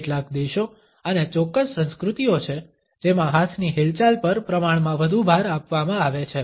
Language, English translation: Gujarati, There are certain countries and certain cultures in which there is relatively more emphasis on the movement of hands